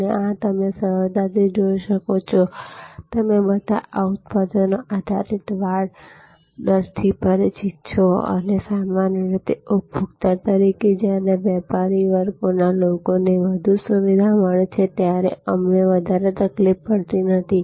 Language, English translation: Gujarati, And these as you easily see, that you are all familiar with these products based rate fencing and usually as consumers, we do not feel much of a disturbance when business class people get more facilities